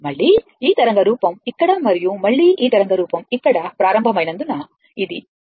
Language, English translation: Telugu, Again, because this wave form is started here and again this wave form starting here, this is T right